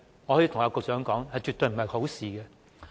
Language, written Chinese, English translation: Cantonese, 我可以告訴局長，這絕非好事。, I can tell the Secretary that the answer is absolutely no